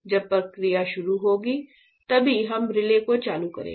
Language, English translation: Hindi, So, when the process starts only we will switch on the relay